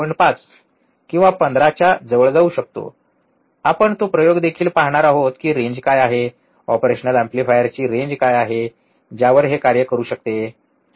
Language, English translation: Marathi, 5 or close to 15, we will see that experiment also that what is the range, what is the range of the operational amplifier that can work on, alright